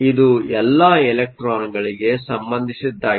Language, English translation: Kannada, This is for electrons